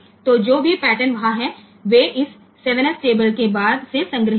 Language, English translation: Hindi, So, they are stored from this 7 s table onwards